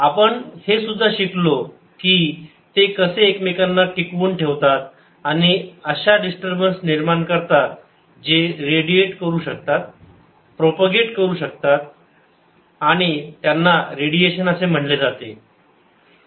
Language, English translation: Marathi, we have also learn how to sustain each other and give raise to ah, ah, disturbance that can radiated, that that can propagate and that is called radiation